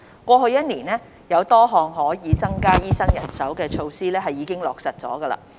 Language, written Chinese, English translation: Cantonese, 過去一年多，有多項可以增加醫生人手的措施已經落實。, In the past year or so a number of measures to increase the supply of doctors have been implemented